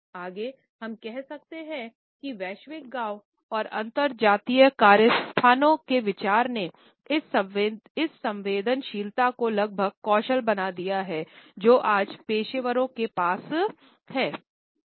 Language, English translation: Hindi, Further we can say that the idea of the global village and the interracial workplaces has made this sensitivity almost a must skill which professionals today must possess